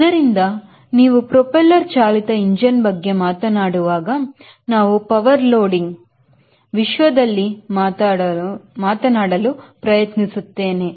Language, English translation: Kannada, so when you talk about propeller driven engine, we try to talk in terms of power loading, talk